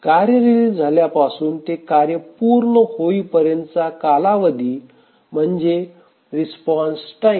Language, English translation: Marathi, So the time from release of the task to the completion time of the task, we call it as a response time